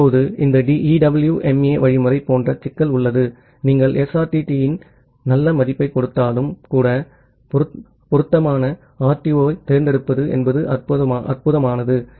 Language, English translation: Tamil, Now, this EWMA algorithm has a problem like; even you give a good value of SRTT, choosing a suitable RTO is nontrivial